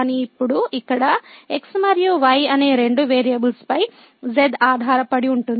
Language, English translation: Telugu, But now here the z depends on two variables x and y